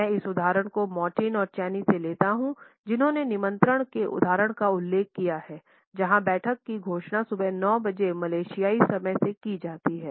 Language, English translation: Hindi, I take this example from Martin and Chaney, who have cited this example of an invitation where the meeting is announced at 9 AM “Malaysian time”